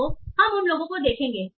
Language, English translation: Hindi, So we will see some of those